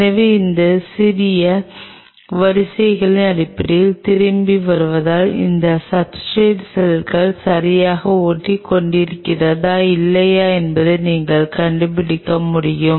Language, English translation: Tamil, So, coming back based on these small queues you can you will be able to figure out whether the cells are properly adhering on that substrate or not